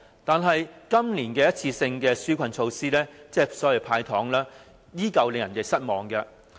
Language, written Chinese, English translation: Cantonese, 但是，今年的一次性紓困措施，亦即所謂的"派糖"，依舊令人失望。, However the one - off relief measures this year or the sweeteners are disappointing